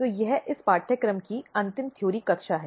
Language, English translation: Hindi, So, this is going to be the final theory class of this course